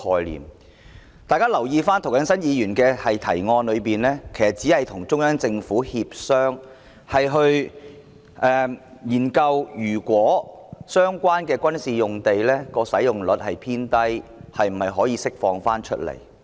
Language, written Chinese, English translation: Cantonese, 請大家留意，在涂謹申議員的原議案中，其實只是建議與中央人民政府協商，研究若相關的軍事用地使用率偏低，是否可以釋放出來。, Please note that the proposal in Mr James TOs original motion is in fact to negotiate with the Central Peoples Government CPG to study whether the relevant military sites can be released if they are underutilized